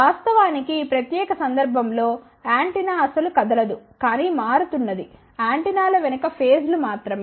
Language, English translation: Telugu, In fact, in this particular case antenna is not at all moving it is only the phases behind the antennas which are changing